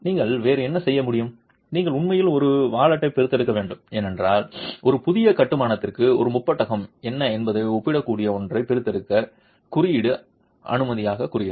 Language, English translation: Tamil, You actually have to extract a wallet then because that's what the code silently says extract something that is comparable to what a prism is for a new construction